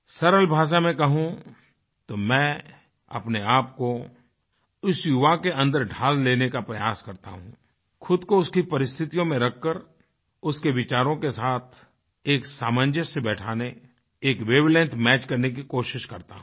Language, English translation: Hindi, In simple words, I may say that I try to cast myself into the mould of that young man, and put myself under his conditions and try to adjust and match the wave length accordingly